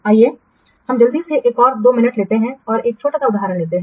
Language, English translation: Hindi, Let's quickly take another two minutes this another small example